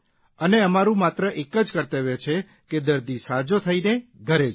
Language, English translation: Gujarati, And, our only duty is to get the patient back home after being cured